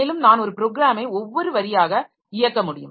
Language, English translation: Tamil, And also I should be able to run a program line by line